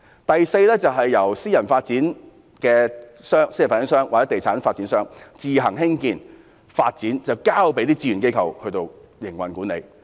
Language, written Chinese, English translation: Cantonese, 第四，由私人發展商或地產發展商自行興建發展，但交由志願機構營運管理。, Fourth private developers or property developers will develop transitional housing on their own and then voluntary agencies will be invited to run and operate them